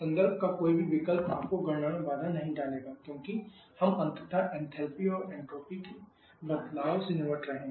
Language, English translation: Hindi, These are some different values using any choice of reference will not hamper your calculation because we are ultimately delete the changes in enthalpy and entropy